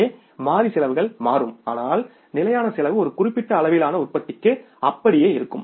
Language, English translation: Tamil, So, variable cost changes but the fixed cost remains the same to a certain level of production